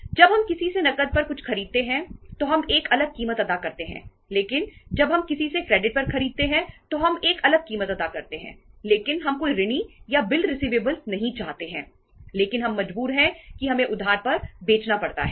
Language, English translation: Hindi, When we buy something on cash from somebody we pay a different price but when we buy something on credit from somebody we pay a different price so but we donít want to have any debtors or bills receivables but we are forced to have we have to sell on credit